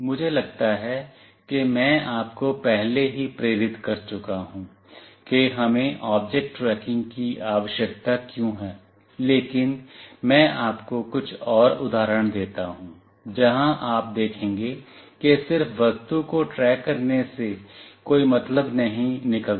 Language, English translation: Hindi, I think I have already motivated you like why do we need object tracking, but let me give you some more examples, where you will see that just tracking the object may not make sense